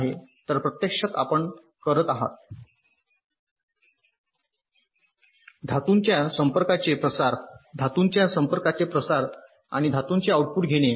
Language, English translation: Marathi, so actually you are doing a diffusion to metal contact, diffusion to metal contact and taking the output on metal